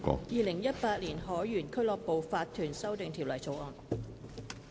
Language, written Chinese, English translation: Cantonese, 《2018年海員俱樂部法團條例草案》。, Sailors Home and Missions to Seamen Incorporation Amendment Bill 2018